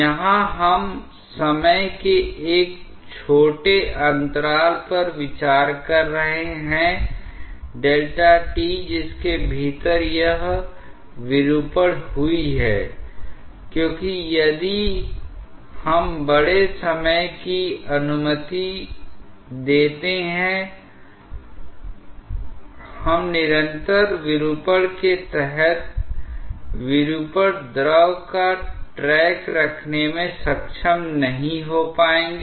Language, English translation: Hindi, Here, we are considering a small interval of time delta t within which this deformation has occurred because if we allow large time, we will not be able to keep track of the deformation fluid is under continuous deformation